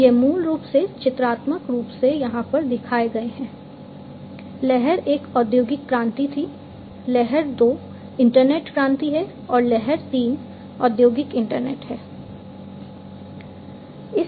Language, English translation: Hindi, So, the so these are basically pictorially shown over here, wave one was the industrial revolution, wave two is the internet revolution, and wave three is the industrial internet